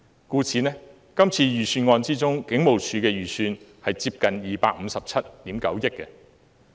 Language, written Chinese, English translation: Cantonese, 故此，在這次預算案之中，警務處的預算接近257億 9,000 萬元。, Hence the estimated expenditure of the Police Force in this Budget amounts to nearly 25.79 billion